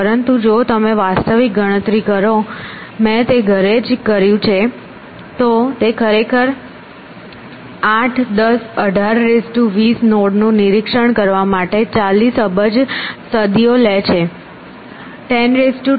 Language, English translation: Gujarati, But if you do the actual calculation, and I did it at home it actually takes 40 billion centuries to inspect 8 10 18 is to 20 nodes